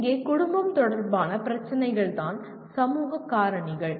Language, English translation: Tamil, Here social factors that is the family related issues